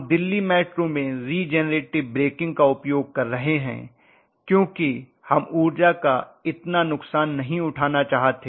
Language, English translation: Hindi, Our Delhi metro and all that are using actually regenerative breaking because we do not want to lose out so much of energy